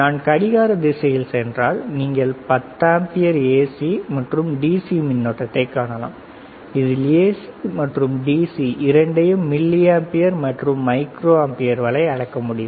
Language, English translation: Tamil, And if I go in a clockwise direction, clockwise then I can see current you see 10 amperes AC and DC it can measure both AC and DC go to milliampere, go to micro ampere, right